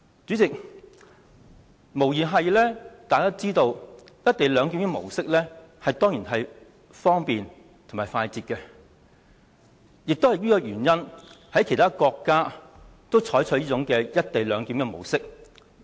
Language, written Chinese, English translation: Cantonese, 主席，大家也知道"一地兩檢"的模式無疑是方便、快捷，而其他國家也因此而採用"一地兩檢"的模式。, President we all know that the co - location arrangement is undoubtedly convenient and efficient and it is for these reasons that other countries have adopted the co - location model